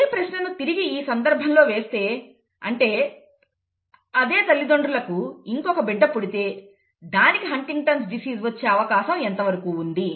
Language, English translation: Telugu, Same question if another child is born to the same parents what is the probability for HuntingtonÕs in that child, okay